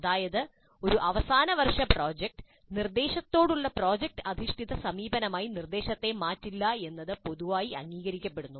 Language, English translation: Malayalam, That is just one final year project does not make the instruction as project based approach to instruction